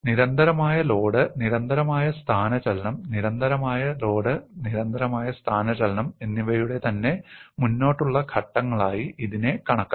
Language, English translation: Malayalam, This could be thought of as steps of constant load, constant displacement, constant load, and constant displacement so on and so forth